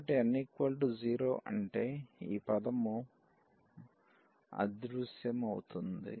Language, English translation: Telugu, So, n is equal to 0 means this term will disappear